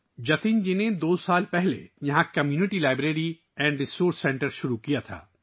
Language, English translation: Urdu, Jatin ji had started a 'Community Library and Resource Centre' here two years ago